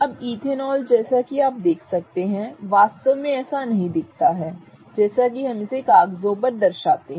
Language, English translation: Hindi, Now ethanol as you can see really doesn't look like what we represented on paper